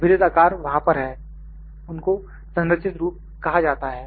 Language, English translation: Hindi, The known shapes are there, those are known as structured forms